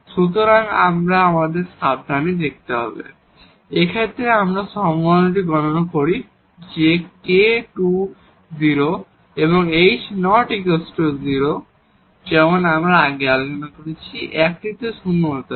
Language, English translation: Bengali, So, we have to again carefully look at, so we take this possibility that is let this k to 0 first and then h is non zero as I discussed before that one has to be non zero